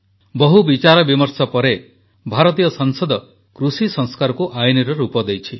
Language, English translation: Odia, After a lot of deliberation, the Parliament of India gave a legal formto the agricultural reforms